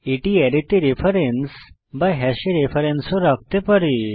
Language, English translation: Bengali, It can also hold the reference to an array or reference to a hash